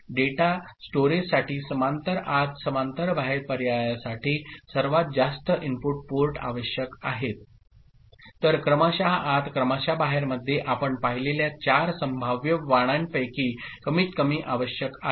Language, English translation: Marathi, Parallel input parallel output option for data storage requires largest number of input ports while serial in serial out requires the least of the four possible varieties that you have seen